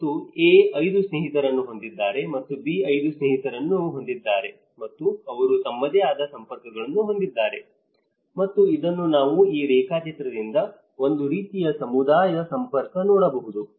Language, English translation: Kannada, And A has again the 5 friends and B has 5 friends and they have their own networks and this we can see by this diagram, we can see it is a kind of a community network